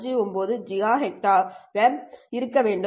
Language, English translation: Tamil, 5 gigahertz which corresponds to roughly about 0